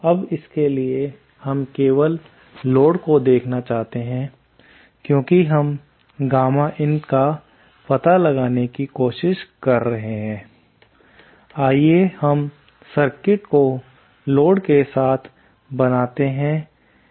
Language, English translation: Hindi, Now for this, let us just see the load since we are trying to find out gamma in, let us just draw the, let us just draw the circuit with the load in